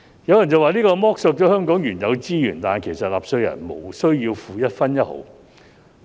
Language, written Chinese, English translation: Cantonese, 有人說此舉會剝削香港原有的資源，但其實納稅人無須繳付一分一毫。, Some people say that this will drain the existing resources of Hong Kong but in fact it does not cost taxpayers a single penny